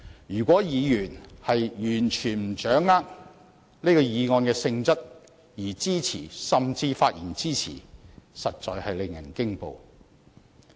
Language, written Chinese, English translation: Cantonese, 如果議員完全不掌握這議案的性質便支持，甚至發言支持，這實在令人驚恐。, If Members support the motion or even speak in support of the motion without fully understanding its nature the result is indeed horrifying